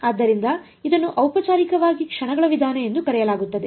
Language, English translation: Kannada, So, this is formally called the method of moments straight forward